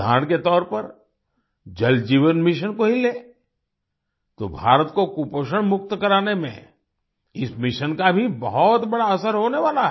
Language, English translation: Hindi, For example, take the Jal Jeevan Mission…this mission is also going to have a huge impact in making India malnutrition free